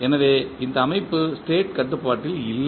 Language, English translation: Tamil, So, therefore this system is not state controllable